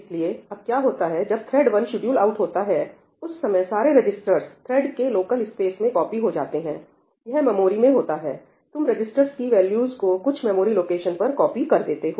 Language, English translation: Hindi, So, now, what happens is that when this thread 1 is getting scheduled out, at that time all the registers will be copied into the local space of the thread this is in the memory; you are copying the value from the registers to some memory location